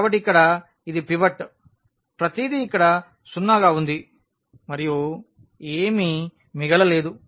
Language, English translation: Telugu, So, here this is pivot everything 0 here and there is nothing left